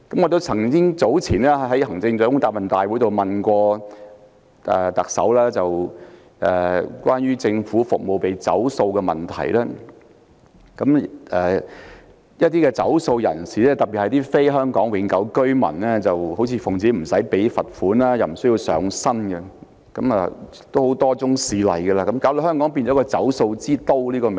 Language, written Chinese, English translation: Cantonese, 我早前在行政長官答問會詢問特首關於政府服務被拖欠費用的問題。一些欠費人士，特別是非香港永久性居民，理直氣壯不繳費而又不用承擔責任，多宗事例的發生令香港變為一個"走數之都"。, In a previous Chief Executives Question and Answer Session I asked the Chief Executive about defaults on payments for public services given that Hong Kong has become the capital of defaults on payments after a series of cases in which the defaulters especially those who are not Hong Kong permanent residents were not held liable for refusing to make payment without feeling shame